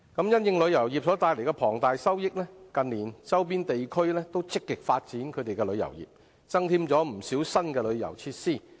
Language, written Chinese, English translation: Cantonese, 因應旅遊業帶來龐大收益，近年周邊地區均積極發展旅遊業，增添不少新的旅遊設施。, In light of the huge profits brought by tourism our peripheral regions are proactively developing their tourism industry in recent years with many new tourism facilities